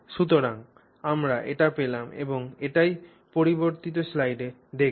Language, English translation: Bengali, And so therefore we will see that in our next slide